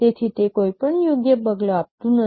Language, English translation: Gujarati, So, it does not give any fair measure